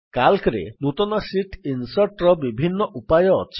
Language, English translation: Odia, There are several ways to insert a new sheet in Calc